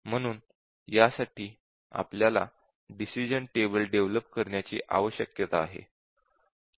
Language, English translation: Marathi, So, we need to develop the decision table for this